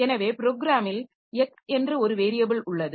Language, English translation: Tamil, So, it cannot be the case that there is a variable say x in my program